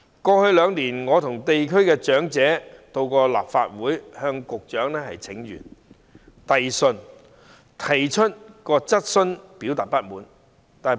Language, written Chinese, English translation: Cantonese, 過去兩年，我和地區的長者到過立法會向局長請願和遞信，我亦提出質詢表達不滿。, Over the past two years I have accompanied elderly people from the districts to the Legislative Council to petition and present letters to the Secretary . I have also raised questions to express dissatisfaction